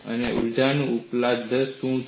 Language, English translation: Gujarati, And what is the energy availability